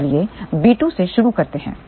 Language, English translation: Hindi, So, let us start with let us say b 2